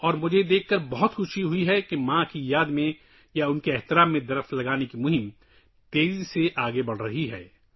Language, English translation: Urdu, And I am immensely happy to see that the campaign to plant trees in memory of the mother or in her honor is progressing rapidly